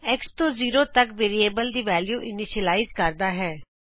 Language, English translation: Punjabi, $x=0 initializes the value of variable x to zero